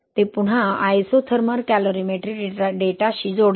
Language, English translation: Marathi, It again ties back to isothermal calorimetry data